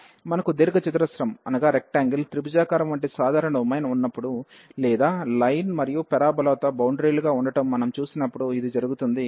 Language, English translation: Telugu, So, this when we have the simple domain like the rectangular triangular or when we have seen with which was bounded by the line and the parabola